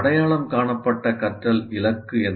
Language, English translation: Tamil, What is an identified learning goal